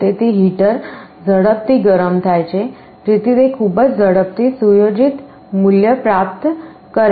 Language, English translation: Gujarati, So, the heater heats up quickly so that it very quickly attains the set value